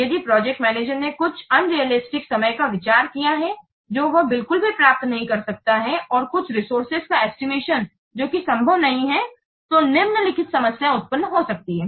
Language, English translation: Hindi, If the project manager committed some unrealistic times which he cannot achieve at all and some resource estimates which is not feasible at all, then the following problems might arise